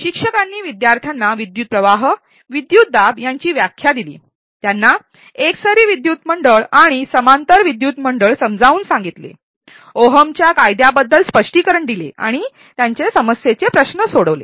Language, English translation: Marathi, The instructor provided definitions of current, voltage to students, explained them about series and parallel circuits, explained about Ohm's law and solved some problem questions